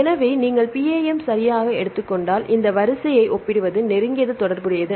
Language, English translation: Tamil, So, essentially if you take PAM one right this is to compare this sequence is a closely related